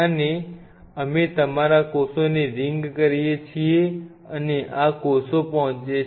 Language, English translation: Gujarati, And we your ring the cells and these cells are reach